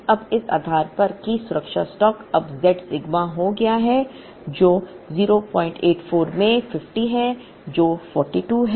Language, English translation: Hindi, Now, based on that the safety stock will now, be z sigma which is 0